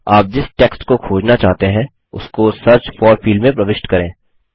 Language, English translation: Hindi, Enter the text that you want to search for in the Search for field